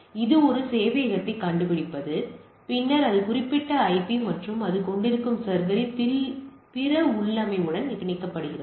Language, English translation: Tamil, So, what you say that it is some sort of discovering a server and then getting bind with that with that particular IP and other configuration of the server it is having